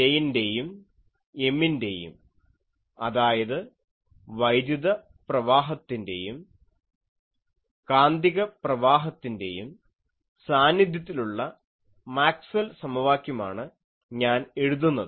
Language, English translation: Malayalam, So, let me rewrite the Maxwell’s equation, when both J and M; that means, electric current and magnetic current are present I can write them Maxwell’s equation